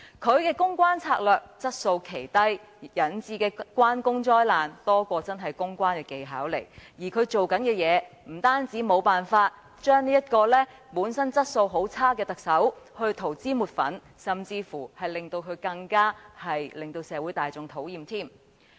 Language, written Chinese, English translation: Cantonese, 他的公關策略質素奇低，引致"關公災難"更多於表現其真正的公關技巧，而他不但無法為本身質素很差的特首塗脂抹粉，反而令他更為社會大眾所討厭。, His public relations strategy is appallingly poor and instead of having any genuine public relations skills he has been causing public relations disasters . Not only has he failed to do whitewashing for the very lousy Chief Executive he has also rendered his boss even more hateful to the public